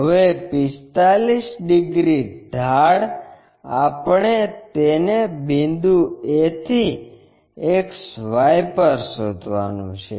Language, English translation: Gujarati, Now, 45 degrees inclination we have to find it on XY from point a